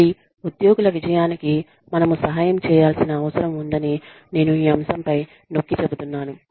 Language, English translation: Telugu, Again, i am emphasizing on this point, that we need to help the employees, succeed